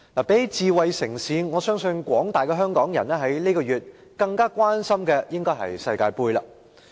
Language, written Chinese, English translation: Cantonese, 與智慧城市相比，我相信廣大香港市民在這個月更關心的應該是世界盃。, Compared with smart city I believe the community at large in Hong Kong are probably more concerned about the World Cup Finals this month